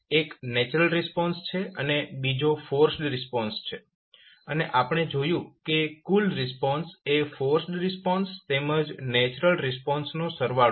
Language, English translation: Gujarati, 1 is natural response and another is forced response and we saw that the total response is the sum of force response as well as natural response